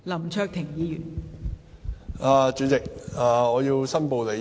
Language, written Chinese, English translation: Cantonese, 代理主席，我要申報利益。, Deputy President I want to declare interest